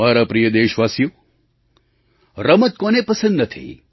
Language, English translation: Gujarati, My dear countrymen, who doesn't love sports